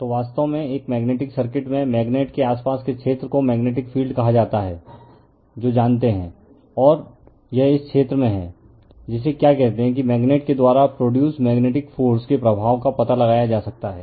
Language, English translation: Hindi, So, just a magnetic circuit actually, the area around a magnet is called the magnetic field right that you know and it is in this area that we are what you call that the effect of the magnetic force produced by the magnet can be detected right